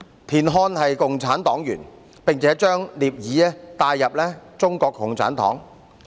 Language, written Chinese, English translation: Cantonese, 田漢是共產黨員，並且將聶耳帶入中國共產黨。, As a member of the Communist Party of China CPC TIAN Han also introduced NIE Er to CPC